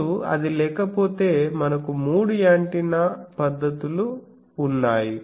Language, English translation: Telugu, Now if that is not there, then we have three antenna methods